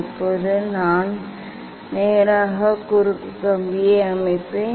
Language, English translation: Tamil, Now, I will set I will set the cross wire at the direct yes